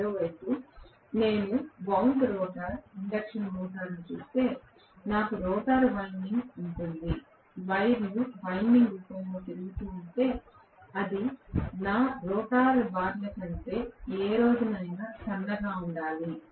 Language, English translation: Telugu, On the other hand if I look at wound rotor induction motor, I will have rotor windings, if I have to have wires going around in the form of winding it has to be any day thinner than my rotor bars